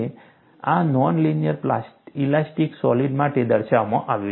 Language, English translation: Gujarati, You could extend this for non linear elastic solid